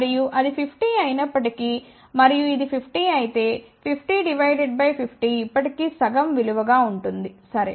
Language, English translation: Telugu, And even if it is 50, and if this is 50, 50 divided by 50 will be still half value here, ok